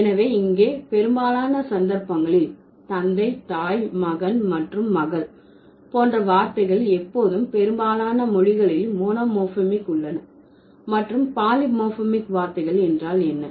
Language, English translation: Tamil, So, the idea here is that in most of the cases, the words like father, mother, son and daughter, these are always monomorphic in most of the words, okay, in most of the languages